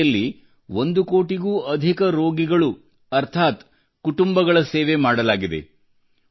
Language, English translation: Kannada, More than one crore patients implies that more than one crore families of our country have been served